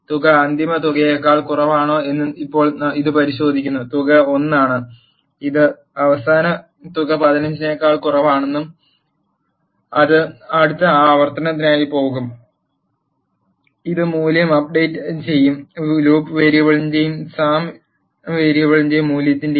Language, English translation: Malayalam, Now it checks whether the sum is less than final sum; the sum is 1 which is less than the final sum 15 it will go for the next iteration, it will update the value of loop variable and the value of sum variable